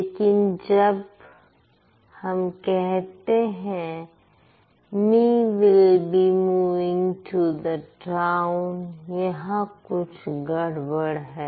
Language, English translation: Hindi, But when you say me will be moving to the town, there lies a problem